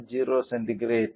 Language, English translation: Tamil, 39 degree centigrade 0